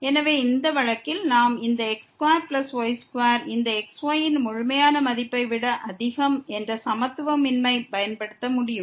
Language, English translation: Tamil, So, in this case, we can use this inequality that square plus square is greater than the absolute value of